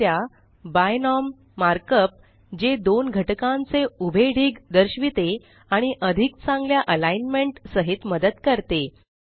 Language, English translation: Marathi, Notice the mark up binom, which displays a vertical stack of two elements and helps with better alignment